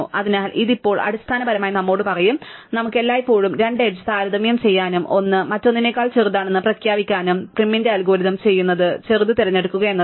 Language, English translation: Malayalam, So, this will now basically tell us that we can always compare two edges and declare one is smaller than the other and what prim's algorithm will do is pick the smaller, right